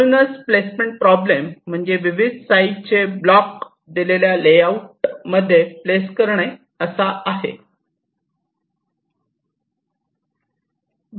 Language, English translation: Marathi, so the placement problem will consist of placing a number of blocks of various shapes and sizes within the layout area that is available to you